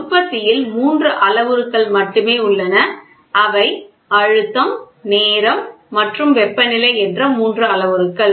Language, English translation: Tamil, See, in manufacturing there are only three parameters, they are pressure, time and temperature these are the three parameters